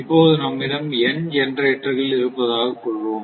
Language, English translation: Tamil, So, suppose you have you a have n number of generators